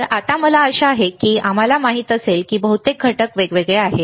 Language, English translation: Marathi, So, now I hope that we know most of the components are discrete components